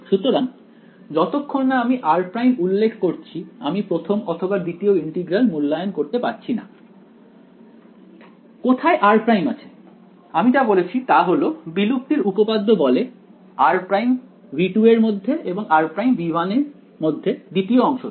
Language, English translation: Bengali, So, r prime unless I specify r prime I cannot actually evaluate this first or second integral was where is r prime all I have said is all that extinction theorem says is r prime must belong to V 2 and r prime must belong to V 1 in the second part right